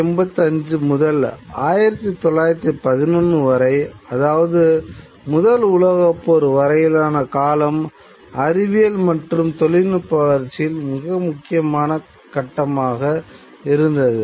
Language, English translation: Tamil, And says that the period between 1885 and 1911 till the First World War was a very important stage in the development of science and technology